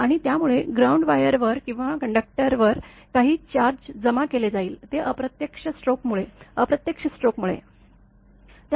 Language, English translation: Marathi, And due to this some charge will be accumulated on the ground wire or on the conductor; those are indirect stroke; due to indirect stroke